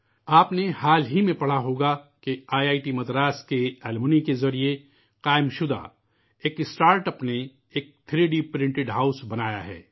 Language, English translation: Urdu, Recently you must have read, seen that a startup established by an alumni of IIT Madras has made a 3D printed house